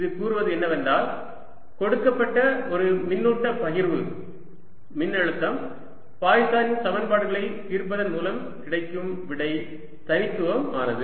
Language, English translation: Tamil, what that tells me is that, and given a charge distribution, the potential, the answer given by solving poisson's equations is unique